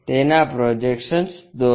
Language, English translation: Gujarati, Draw it's projections